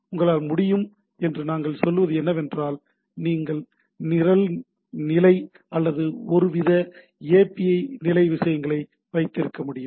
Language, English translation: Tamil, So, that what we say that you can, you can have program level or some sort of a API level things, right